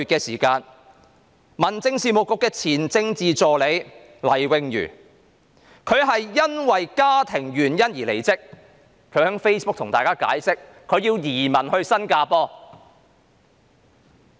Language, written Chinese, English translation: Cantonese, 事隔1個月，民政事務局前政治助理黎穎瑜因家庭原因而離職，她在 Facebook 上向大家解釋她將會移民到新加坡。, One month later Jade LAI former Political Assistant to the Secretary for Home Affairs resigned due to family reasons . She told everyone on Facebook that she would migrate to Singapore